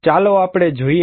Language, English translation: Gujarati, Let us look here